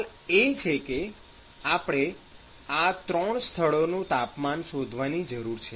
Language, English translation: Gujarati, So, the question is we need to find the temperatures of these 3 locations